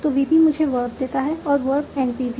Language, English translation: Hindi, So, NP can also give me a proper noun